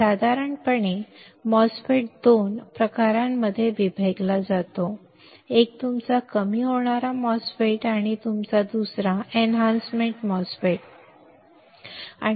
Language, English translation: Marathi, Generally the MOSFET is divided into 2 types one is your depletion type MOSFET, another one is your enhancement type MOSFET ok